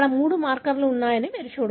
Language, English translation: Telugu, You can see here there are three markers